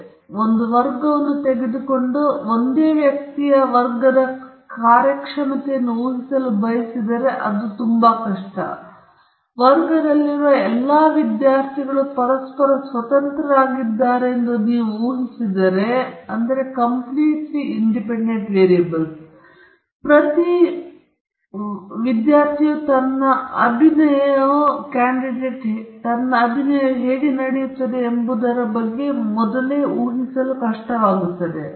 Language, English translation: Kannada, Let us take a class, and if we want to predict the performance in the class of a single individual, then it is very difficult, and if you assume that all the students in the class are independent of one another, each student is going to be difficult to predict beforehand on how his performance is going to be